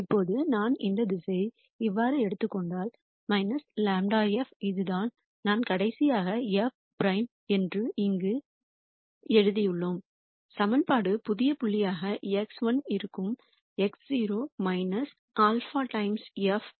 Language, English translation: Tamil, Now, if I take this direction as minus grad f which is what we discussed last time which I have written here as f prime then, the equation will be the new point x 1 is x naught minus alpha times f prime x naught